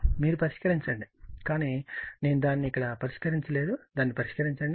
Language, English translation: Telugu, Actually solve, but I did not put it here you solve it